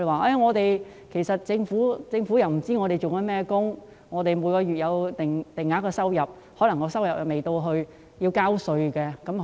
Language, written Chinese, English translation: Cantonese, 他們表示，政府不知道他們從事甚麼工作，雖然每月有定額收入，但卻未達至要繳稅的水平。, According to them the Government did not know what jobs they were doing . Although they have fixed monthly income the amount is not high enough to be taxable